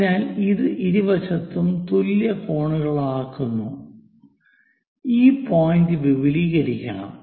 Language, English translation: Malayalam, So, it makes equal angles on both sides, and this point extended